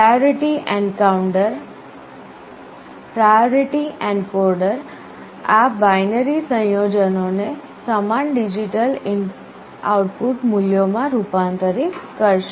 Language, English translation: Gujarati, The priority encoder will be converting these binary combinations into equivalent digital output values